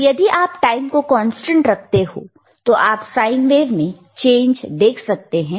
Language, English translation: Hindi, But if you keep that time constant, then you will be able to see the change in the sine wave